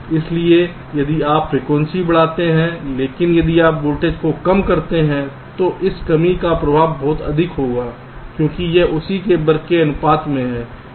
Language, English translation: Hindi, so if you increase the frequency but if you dec and decrease the voltage, the impact of this decrease will be much more because it is proportion to square of that